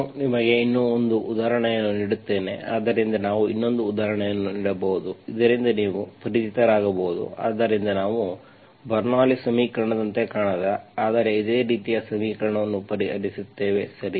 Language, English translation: Kannada, I will give you one more example, so one more example we can do so that you get familiar with, so we will solve, solve an equation that does not really look like a Bernoulli s equation but something similar, okay